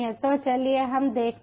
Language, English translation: Hindi, so lets check it